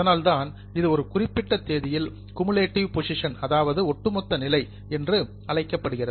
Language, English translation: Tamil, That's why it has been called as a cumulative position as on a particular date